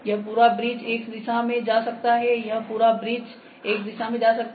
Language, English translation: Hindi, This whole bridge can move in X direction this whole bridge can move in X direction